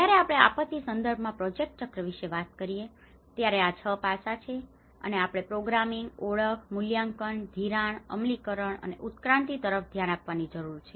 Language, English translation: Gujarati, When we talk about the project cycle in the disaster context, these are the 6 aspects which we need to look at the programming, identification, appraisal, financing, implementation and evolution